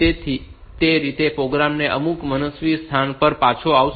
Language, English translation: Gujarati, So, that way the program will return to some arbitrary location